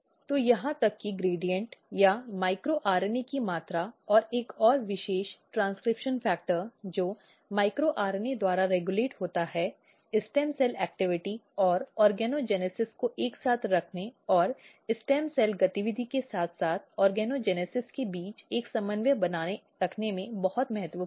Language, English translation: Hindi, So, even the gradient or the amount of micro RNA and a particular transcription factor which is regulated by micro RNA are very important in positioning the stem cell activity and organogenesis together and maintaining a coordination between stem cell activity as well as organogenesis